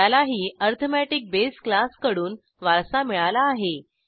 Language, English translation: Marathi, This also inherits base class arithmetic